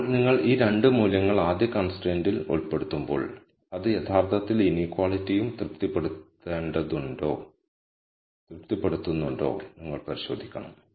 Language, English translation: Malayalam, Now when you put these 2 values into the first constraint you will check that it actually satisfies the inequality also